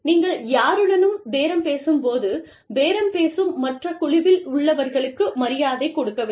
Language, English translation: Tamil, When you are bargaining, with anyone, you must show courtesy, to the other bargaining team